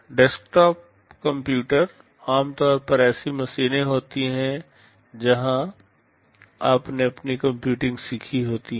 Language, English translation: Hindi, Desktop computers are typically machines where you have learnt your computing on